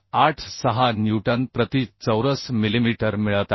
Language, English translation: Marathi, 86 newton per millimetre square and it is less than 189